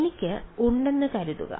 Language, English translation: Malayalam, So, supposing I have